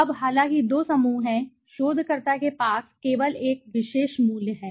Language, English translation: Hindi, Now although there are two groups, the researcher has only one particular value with it right